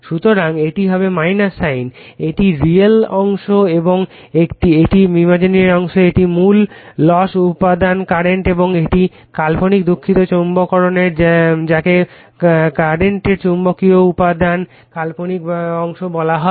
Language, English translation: Bengali, So, it will be minus sign right this is your real part and this is your imaginary part this is core loss component current and this is your imaginary sorry magnetizing your called the imaginary part in the magnetizing component of the current